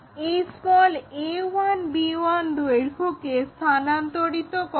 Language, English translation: Bengali, Transfer this length a 1 b 1, a 1 b 1 there